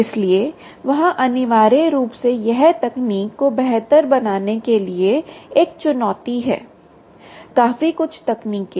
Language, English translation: Hindi, so there is essentially it's a challenge to improve the techniques